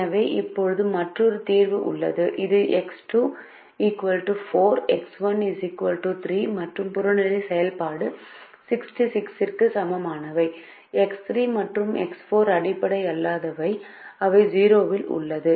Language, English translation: Tamil, so we now have another solution which is x two equal to four, x one equal to three and objective function equal to sixty six